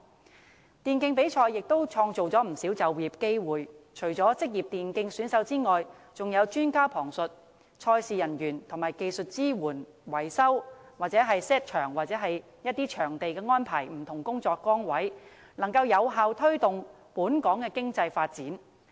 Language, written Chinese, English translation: Cantonese, 此外，電競比賽亦可創造不少就業機會，除職業電競選手外，還有旁述專家、賽事人員，以及負責技術支援、維修或布置場地等不同工作崗位，能夠有效推動本港的經濟發展。, Moreover e - sports tournaments can create many job opportunities . Apart from e - sports gamers there are posts for commentators tournament staff as well as personnel for providing technical support repair and maintenance or venue decoration . The economic development of Hong Kong can thus be effectively promoted